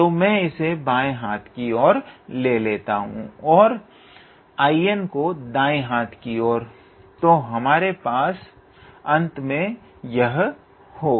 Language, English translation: Hindi, So, I am bringing this on the left hand side and I am bringing I n on the right hand side, so we will end up with this